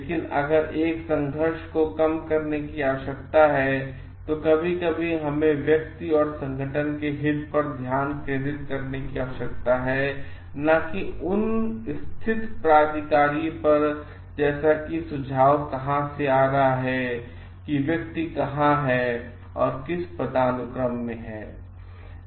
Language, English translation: Hindi, But if a conflict needs to be reduced, then sometimes we need to focus on the interest and not on the positions like from where it is coming the suggestion is coming from where and at what level of hierarchy that the person is in